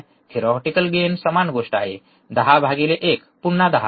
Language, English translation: Marathi, Theoretical gain is same thing, 10 by 1, again it is 10